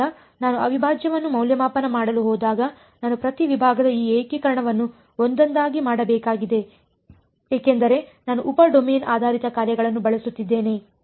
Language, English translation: Kannada, So, when I go to evaluate the integral I have to do this integration sort of each segment one by one ok, that is because I am using sub domain basis functions